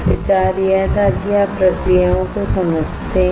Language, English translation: Hindi, The idea was that you understand the processes